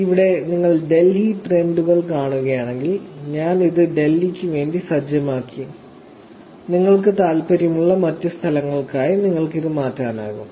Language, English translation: Malayalam, Here if you see Delhi trends, I have set it for Delhi you can actually change it for other locations that you may be interested in